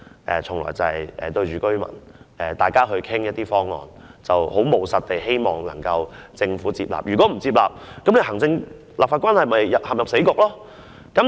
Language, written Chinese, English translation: Cantonese, 但是，我與居民討論有關方案時，向來是務實地希望可令政府接納意見，否則行政和立法關係便會陷入死局。, However I have all along adopted a pragmatic approach in discussing various options with residents of the district hoping that the Government will accept our views lest the executive - legislature relationship will fall into a deadlock